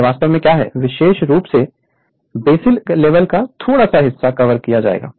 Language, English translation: Hindi, So, it is actually what particularly as at the basic level only little bit will be covered right